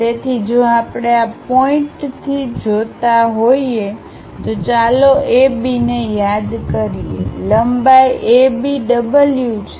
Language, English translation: Gujarati, So, if we are seeing from this point this point let us call A B, the length A B is W